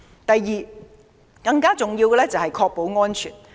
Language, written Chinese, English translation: Cantonese, 第二，更重要的是確保安全。, Second it is more important to ensure safety